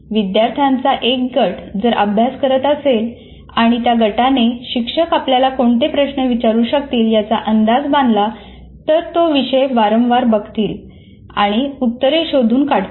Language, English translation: Marathi, If a group of students are looking at the content and they are able to try to predict the questions, the teacher might ask, you will go around and review the content and come with the answers